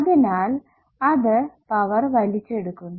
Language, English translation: Malayalam, in other words, it is delivering power